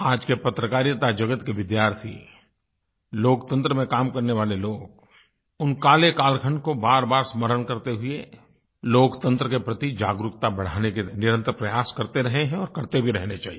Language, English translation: Hindi, The presentday students of journalism and the champions of democracy have been endeavouring towards raising awareness about that dark period, by constant reminders, and should continue to do so